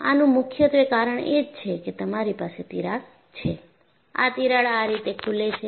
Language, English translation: Gujarati, Mainly because you have the crack and the crack opens up like this